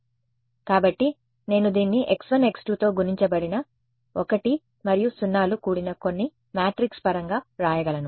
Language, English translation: Telugu, So, I can write this in terms of some matrix which is composed of 1s and 0s multiplied by x 1 x 2